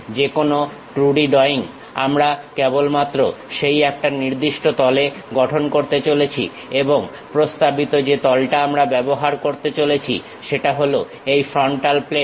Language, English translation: Bengali, Any 2D drawing we are going to construct only on that one particular plane and the recommended plane what we are going to use is frontal plane